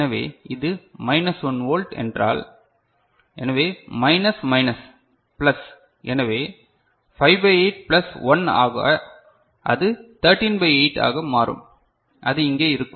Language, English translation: Tamil, So, if it is minus 1 volt ok; so, minus minus plus so 5 by 8 plus 1 so, it will becomes 13 by 8 so, that is over here